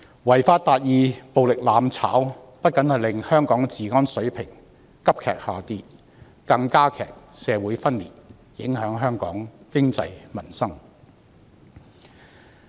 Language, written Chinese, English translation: Cantonese, 違法達義、暴力"攬炒"不僅令香港的治安水平急劇下跌，更加劇社會分裂，影響香港經濟、民心。, Achieving justice by violating the law and mutual destruction through violence have not only caused a plunge in the level of law and order in Hong Kong but have also intensified social dissension and affected Hong Kongs economy and peoples hearts